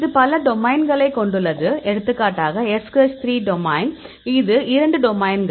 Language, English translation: Tamil, It has several domains; for example, SH3 domain; it is 2 domains